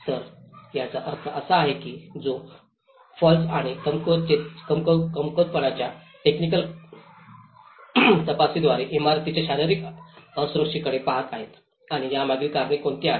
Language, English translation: Marathi, So, which means they are looking at the physical vulnerability of the buildings through a technical inspection of falls and weaknesses and what are the reasons behind these